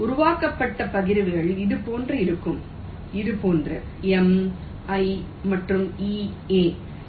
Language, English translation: Tamil, so the partitions created will be like this: hm, like this: m i n e a